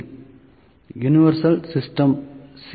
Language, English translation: Tamil, C) Universal C